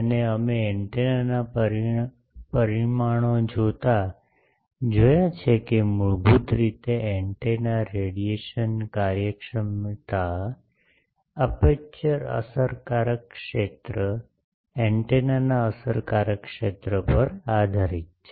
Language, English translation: Gujarati, And we have seen while seeing the antenna parameters that basically antennas radiation efficiency depends on the effective area of an aperture, effective area of an antenna